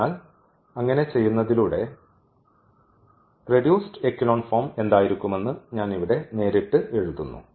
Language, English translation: Malayalam, So, that doing so, I am writing directly here what will be the reduced echelon form